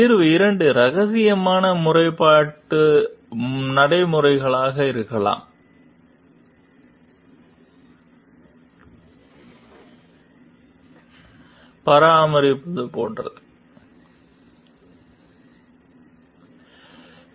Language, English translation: Tamil, Solution 2 could be secrete complaint procedures, like maintaining anonymity